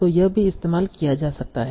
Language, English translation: Hindi, So all these can also be your features